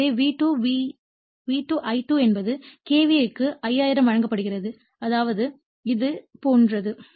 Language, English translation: Tamil, So, it is V2 is your = your V2 I2 is that is KVA is given 5000 I mean this is something like this